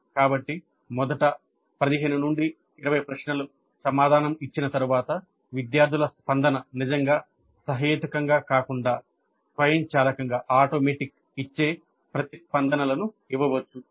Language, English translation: Telugu, So after answering maybe the first 15, 20 questions students might give responses which are more automatic rather than really reasoned out responses